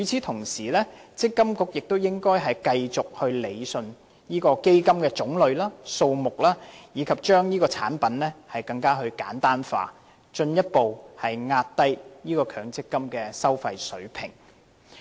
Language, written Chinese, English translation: Cantonese, 同時，積金局亦應該繼續理順基金的種類和數目，以及將產品簡單化，以進一步壓低強積金的收費水平。, Meanwhile MPFA should continue with its efforts in rationalizing the types and numbers of MPF funds as well as pursuing the simplification of MPF products thereby further driving down MPF fees